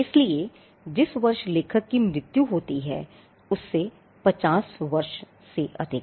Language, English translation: Hindi, So, the year on which the author died plus 50 years